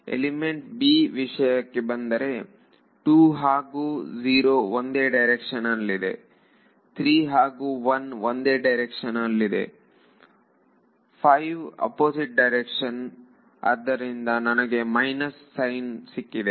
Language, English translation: Kannada, When I come to element b 2 and 0 same direction, 3 and 1 same direction, 5 opposite direction that is why that is why I got a minus sign good point